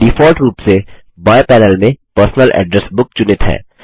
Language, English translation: Hindi, By default the Personal Address Book is selected in the left panel